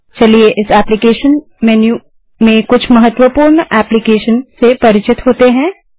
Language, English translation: Hindi, In this applications menu, lets get familiar with some important applications